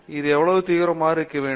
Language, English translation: Tamil, How intense it should be and so on